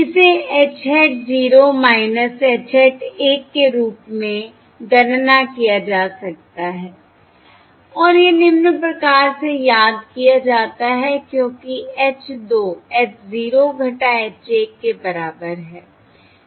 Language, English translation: Hindi, This can be calculated as h hat 0 minus h hat 1 and this follows, remember, because h of 2 equals small h 0 minus small h 1, small h 0 minus small h 1